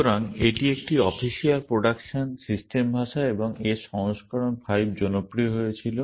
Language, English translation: Bengali, So, it is a official production system language and its version was 5 became popular